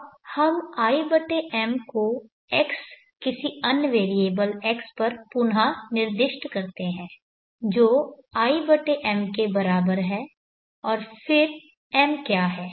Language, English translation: Hindi, Now let us i/m to x some other variable x = i/m and then what is m